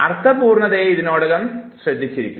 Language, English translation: Malayalam, So, meaningfulness was already taken care of